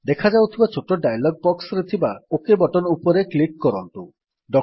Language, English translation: Odia, Click on OK in the small dialog box that appears